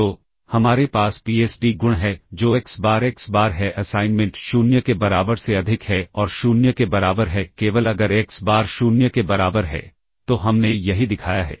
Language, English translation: Hindi, So, we have the PSD property which is xBar xBar the assignment is greater than or equal to 0 and equal to 0 only if xBar equal to 0